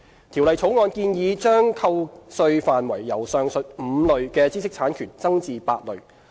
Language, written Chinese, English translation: Cantonese, 《條例草案》建議把扣稅範圍由上述5類知識產權增至8類。, The Bill proposes to expand the scope of profits tax deduction from the aforesaid five categories of IPRs to eight